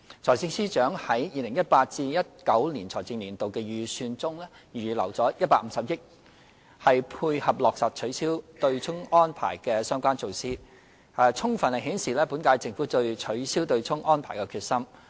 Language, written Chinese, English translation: Cantonese, 財政司司長在 2018-2019 財政年度的預算中預留150億元，配合落實取消"對沖"安排的相關措施，充分顯示本屆政府對取消"對沖"安排的決心。, The fact that the Financial Secretary has in the 2018 - 2019 Budget earmarked 15 billion to complement the implementation of relevant measures for the abolition of the offsetting arrangement fully demonstrates the determination of the current - term Government to abolish the arrangement